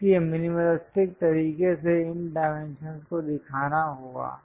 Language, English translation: Hindi, So, minimalistic way one has to show these dimensions